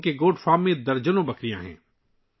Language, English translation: Urdu, There are about dozens of goats at their Goat Farm